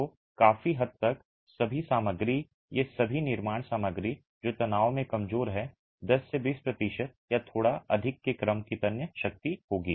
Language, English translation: Hindi, So, fairly all materials, all these construction materials which are weak intention would have a tensile strength of the order of 10 to 20 percent or slightly higher